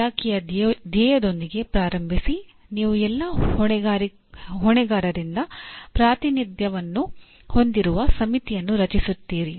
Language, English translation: Kannada, And starting with the mission of the department and you constitute a committee with representation from all stakeholders